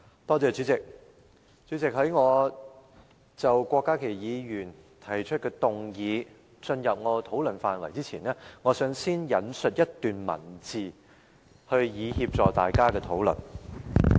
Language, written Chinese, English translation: Cantonese, 代理主席，在討論郭家麒議員提出的議案前，我想先引述一段文字，以協助大家討論。, Deputy President before discussing the motion proposed by Dr KWOK Ka - ki let me first quote a paragraph to facilitate our discussions